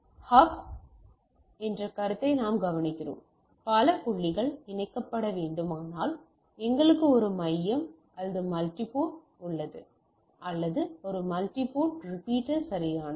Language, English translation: Tamil, And one we look at the concept of hub, if there a number of points needs to be connected then we have a hub or multi port or also a sort of a multi port repeater right